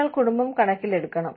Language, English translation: Malayalam, You have to take, the family into account